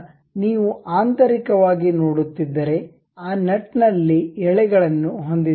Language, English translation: Kannada, So, internally if you are seeing we have those threads in that nut